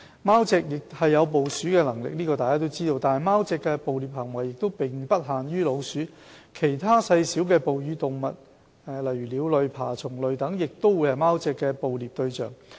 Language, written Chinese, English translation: Cantonese, 貓隻有捕鼠的能力，但貓隻的捕獵行為並不限於老鼠，其他細小哺乳類動物、鳥類、爬蟲類等，亦會是貓隻的捕獵對象。, Although cats have the ability to prey on rodents their predation targets are not limited to rodents . Cats would also prey on other small mammals birds reptiles etc